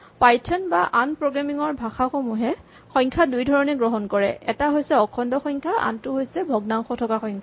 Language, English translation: Assamese, Now in python and in most programming languages numbers come in two distinct flavours as you can call them integers and numbers which have fractional parts